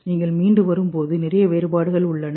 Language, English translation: Tamil, When you recover, then there is a lot of differentiation